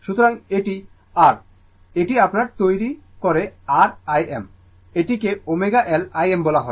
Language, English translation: Bengali, So, this is R this is your made R I m, this is say omega L I m